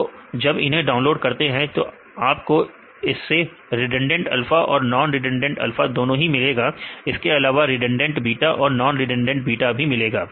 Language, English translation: Hindi, So, there you can get the redundant alpha and the non redundant alpha right also they redundant beta and non redundant beta right